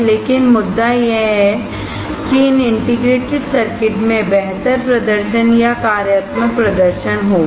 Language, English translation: Hindi, But the point is, that these integrated circuits will have a better performance or functional performance